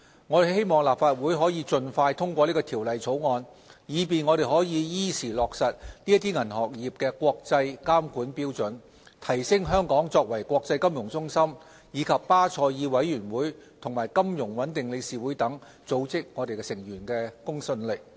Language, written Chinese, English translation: Cantonese, 我希望立法會可以盡快通過《條例草案》，以便我們可以依時落實這些銀行業國際監管標準，提升香港作為國際金融中心，以及巴塞爾委員會和金融穩定理事會等組織成員的公信力。, I hope the Legislative Council can pass the Bill expeditiously so as to facilitate the timely implementation of the latest international standards on banking regulation and add to the credibility of Hong Kong both as an international financial centre and a responsible member of bodies including BCBS and FSB